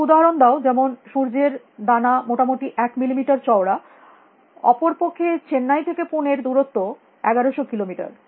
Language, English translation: Bengali, Suggest some examples, for example, mustard seed is about one millimeter thick whereas the distance from Chennai to Pune is about 1100 kilometers